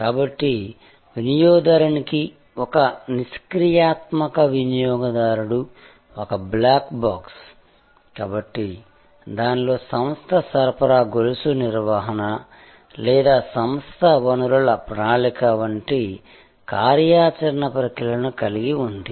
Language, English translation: Telugu, So, to the consumer, a passive consumer that was kind of a black box, so the organisation within itself had operational processes like supply chain management or enterprise resource planning, etc